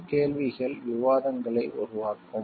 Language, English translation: Tamil, These questions will generate discussions